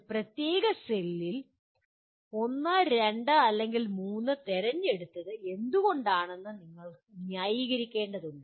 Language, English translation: Malayalam, You have to justify why you chose 1, 2 or 3 in a particular cell